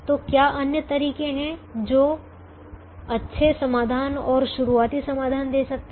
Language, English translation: Hindi, so are there other methods which can give good solutions and starting solutions